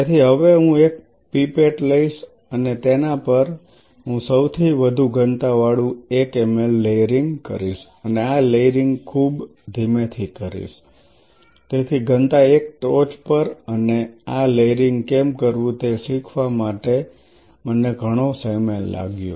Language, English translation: Gujarati, So, now, I take a pipette and, on a pipette, I layer the highest density 1 ml layering and this layering has to be done very gently, so density 1